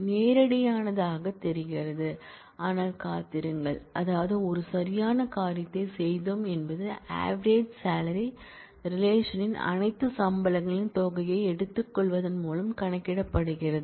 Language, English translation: Tamil, sounds straightforward, but just wait, just wait, I mean did we do it do a right thing an average salary is computed by taking the sum of all salaries in the relation